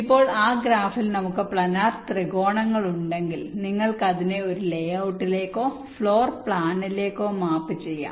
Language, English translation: Malayalam, now, if we have the planner triangulations in that graph, you can map it to a layout or a floor plan